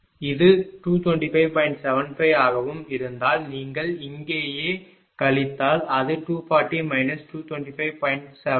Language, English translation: Tamil, 75 if you subtract here right so, it will be 14